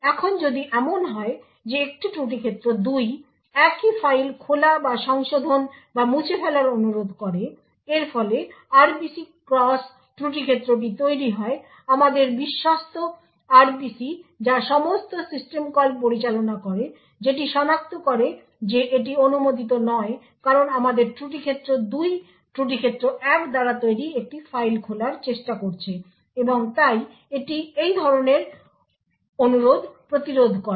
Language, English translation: Bengali, Now if let us say a fault domain 2 request the same file to be opened or modified or deleted this would also result in the cross fault domain RPC our trusted RPC which handles all system calls who then identify that this is not permitted because we have fault domain 2 trying to open a file created by fault domain 1 and therefore it would prevent such a request